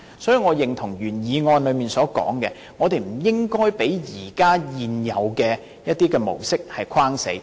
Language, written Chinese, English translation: Cantonese, 所以，我認同原議案提出，我們不應該被一些現有的模式局限。, In this connection I agree with the proposal in the original motion proposing that we should not be confined by the existing modes or patterns